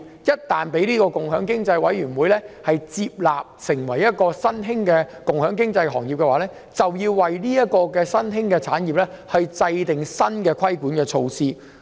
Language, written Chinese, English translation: Cantonese, 若共享經濟委員會界定某行業為共享經濟新興行業，便要為該新興產業制訂新的規管措施。, If an industry is defined as a new industry in the operation mode of sharing economy new regulatory measures for the new industry shall be formulated